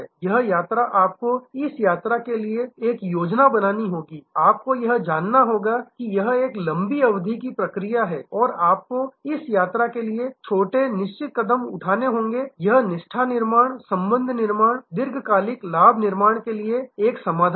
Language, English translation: Hindi, This journey you have to have a plan for this journey, you have to know that this is a long terms process and you have to take small definite steps to verses, this is the key to loyalty building, relationship building, long term advantage building